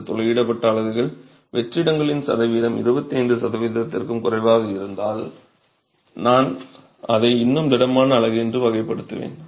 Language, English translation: Tamil, These perforated units, if the percentage of voids is less than 25 percent, I would still classify that as a solid unit